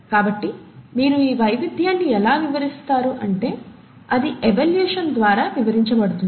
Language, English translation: Telugu, So how do you explain this diversity, and that is essentially explained through evolution